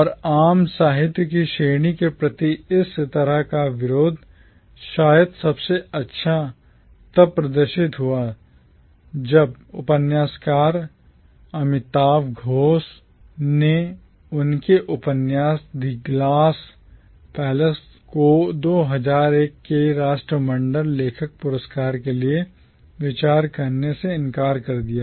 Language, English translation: Hindi, And this kind of aversion towards the category of commonwealth literature was perhaps best displayed when the novelist Amitav Ghosh refused to let his novel The Glass Palace be considered for the 2001 Commonwealth Writers prize